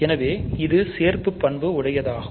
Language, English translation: Tamil, So, this is the second property